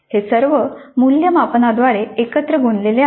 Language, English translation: Marathi, These are all glued together through assessment